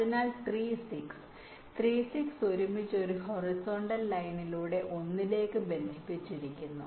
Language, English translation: Malayalam, so three, six, three, six together is connected to one by a horizontal line